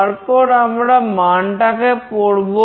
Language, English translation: Bengali, Then we are reading the value